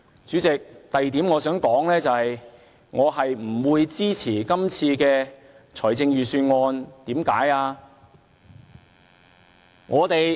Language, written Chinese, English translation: Cantonese, 主席，我想說的第二點是，我不會支持今次的預算案，為甚麼呢？, Those are nothing but mere political attacks . Chairman the second point I wish to mention is that I will not support the budget this time . Why?